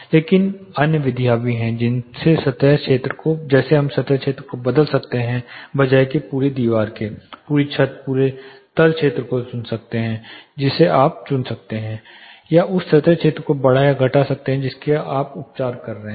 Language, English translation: Hindi, But there are other methods you can vary the surface area instead of treating the whole wall whole ceiling whole floor area you can pick and choose you can increase or decrease the surface area in which you are creating